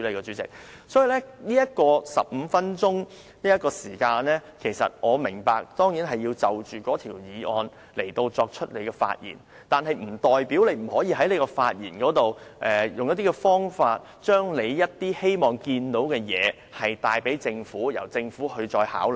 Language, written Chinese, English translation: Cantonese, 主席，我當然明白這15分鐘的發言時間中，我們需要就議案內容發言，但這並不代表我們不可以在發言中，以某種方法把我們看到的問題告訴政府，由政府再作考量。, President I certainly understand that we have to speak on the motion during the 15 - minute speaking time but this does not mean that we cannot in a certain way convey to the Government the problems we have identified for its consideration